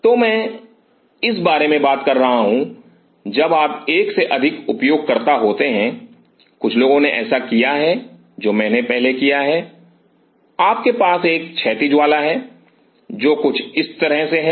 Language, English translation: Hindi, This is what I am talking about when you are multiple user or some people have done I have done this earlier you have a one horizontal one, which is something like this